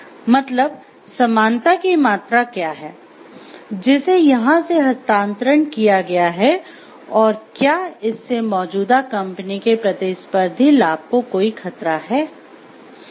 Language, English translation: Hindi, So, what is the degree of similarity and transfer that has been done over here, and whether this has given any threat to the existing company’s competitive advantage